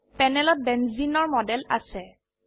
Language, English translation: Assamese, We have a model of benzene on the panel